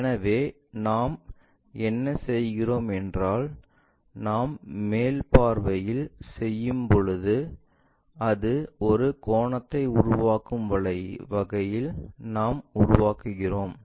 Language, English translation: Tamil, So, what we do is when we are doing in the top view, we construct in such a way that it makes an angle